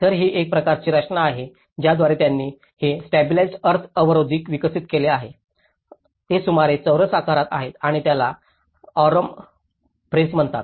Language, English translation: Marathi, So, that is a kind of composition through which they developed these stabilized earth blocks which are about in a square shape and this is called Aurum press